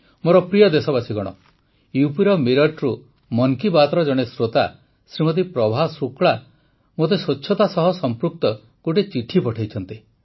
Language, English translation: Odia, a listener of 'Mann Ki Baat', Shrimati Prabha Shukla from Meerut in UP has sent me a letter related to cleanliness